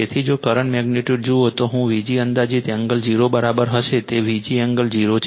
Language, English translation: Gujarati, So, if you see the current magnitude, I will be equal to V g approximate that angle is 0, V g angle 0 right